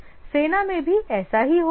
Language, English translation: Hindi, Similar is the case for military